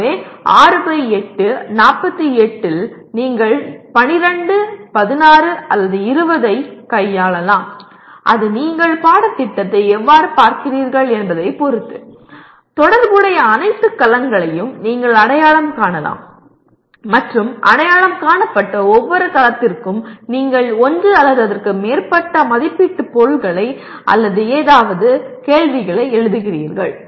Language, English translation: Tamil, So it could be let us say in 6 by 8, 48 you may be dealing with 12, 16, or 20 depending on how you look at the course; you can identify all the cells that are relevant and for each identified cell you write one or more assessment items, okay questions something like that